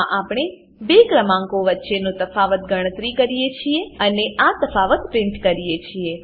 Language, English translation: Gujarati, In this we calculate the difference of two numbers and we print the difference